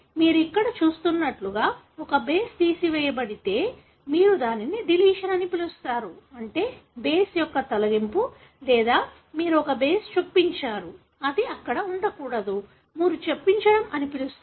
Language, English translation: Telugu, But, if a base is removed like you see here, you call that as deletion, meaning deletion of a base or you have inserted a base, which, should not be there; that you call as insertion